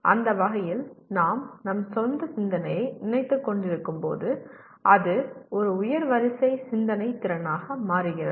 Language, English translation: Tamil, In that sense as we are thinking of our own thinking it becomes a higher order thinking ability